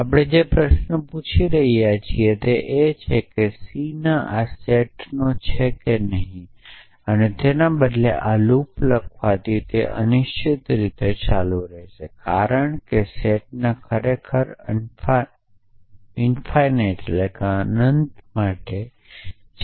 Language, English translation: Gujarati, So, the question we are asking is the c belong to this set or not and instead of writing this loop which will keep going indefinitely, because the set is actually infinite